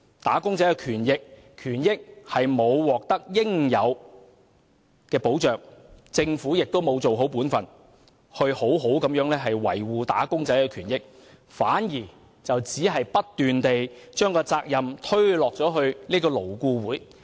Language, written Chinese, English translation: Cantonese, "打工仔"的權益並未獲得應有的保障，政府亦沒有做好本分，好好維護"打工仔"的權益，反而不斷把責任推卸給勞顧會。, The rights and interests of wage earners are not duly protected nor has the Government done its part to properly safeguard their rights and interests . Rather it keeps passing the buck to LAB